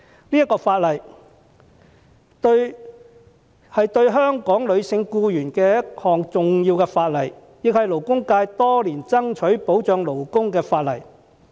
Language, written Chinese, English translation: Cantonese, 這項法例是對香港的女性僱員的一項重要的法例，亦是勞工界多年以來所爭取保障勞工的法例。, This Bill is an important piece of legislation for Hong Kongs female workers and it is also a piece of legislation for labour protection which the labour sector has been fighting for over the years